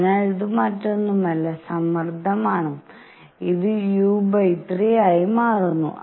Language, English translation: Malayalam, So, this is nothing, but pressure and this comes out to be u by 3